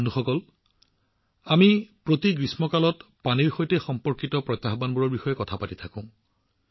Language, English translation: Assamese, Friends, we keep talking about the challenges related to water every summer